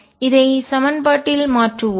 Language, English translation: Tamil, Let us substitute this in the equation